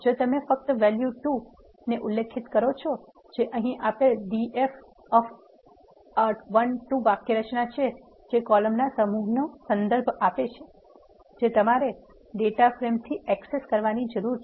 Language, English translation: Gujarati, If you specify only val 2 which is the syntax given here d f of a l 2 this refers to the set of columns, that you need to access from the data frame